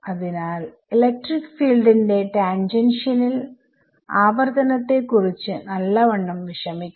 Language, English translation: Malayalam, So, we have to many times worry about tangential continuity of electric fields